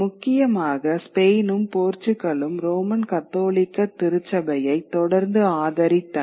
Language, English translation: Tamil, Importantly, Spain and Portugal continued to support the Roman Catholic Church, whereas England opposed it